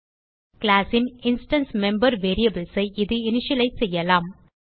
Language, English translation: Tamil, It can initialize instance member variables of the class